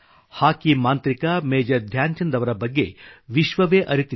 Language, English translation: Kannada, Hockey maestro Major Dhyan Chand is a renowned name all over the world